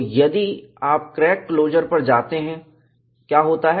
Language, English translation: Hindi, So, if we go to crack closure, what happens